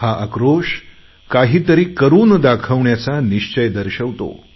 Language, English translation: Marathi, This anger has the resolve to do something